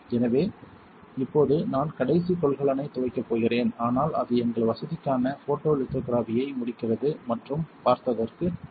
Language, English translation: Tamil, So, right now I am going to rinse the last container, but that pretty much concludes photolithography for our facility and thank you for watching